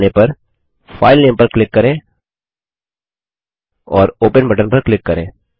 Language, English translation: Hindi, Once found, click on the filename And click on the Open button